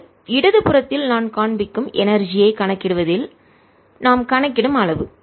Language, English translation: Tamil, this is the amount that i am over counting in calculating the energy that i am shown in the left